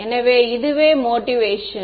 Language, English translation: Tamil, So this is the motivation for it